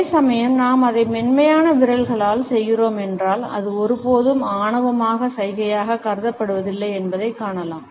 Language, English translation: Tamil, At the same time, if we are doing it with soft fingers, we find that it is never considered as an arrogant gesture